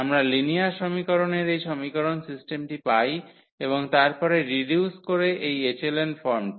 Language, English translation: Bengali, So, we get this equation the system of linear equation and then by reducing to this echelon form